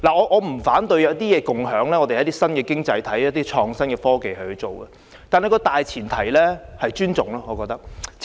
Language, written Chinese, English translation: Cantonese, 我不反對共享——一些新經濟行業可利用創新科技這樣做——但大前提是互相尊重。, I do not oppose the idea of sharing―some new economy industries can make use of innovative technologies to do so―but it should be based on the premise of mutual respect